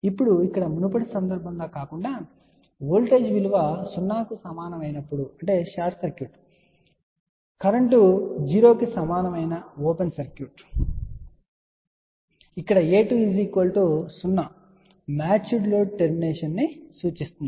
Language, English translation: Telugu, Now, here unlike the previous case wherevoltage equal to 0 implied short circuit current equal to 0 implied open circuit here a 2 equal to 0 implies match load termination